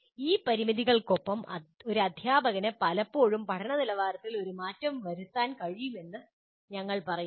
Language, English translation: Malayalam, So with all these limitations, we claim or we say a teacher can still make a difference to the quality of learning